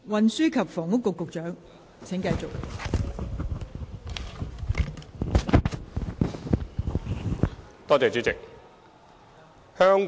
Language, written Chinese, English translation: Cantonese, 運輸及房屋局局長，請繼續作答。, Secretary for Transport and Housing please continue with your reply